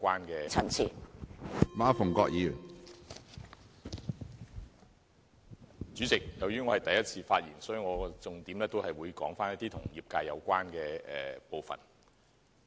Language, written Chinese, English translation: Cantonese, 主席，這是我的第一次發言，我會重點談談與業界有關的部分。, President in this first speech of mine I will talk about the highlights related to my sectors